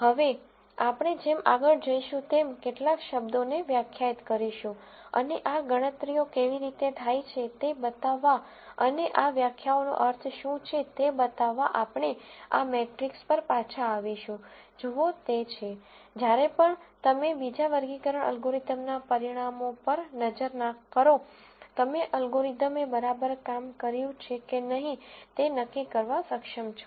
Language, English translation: Gujarati, Now, we are going to de ne some terms as we go along and we will come back to the same matrix to show you how these calculations are done and show you what the meaning of these definitions, the these are so that, whenever you look at the results of another classification algorithm, you are able to kind of judge whether the algorithm did well or not and so on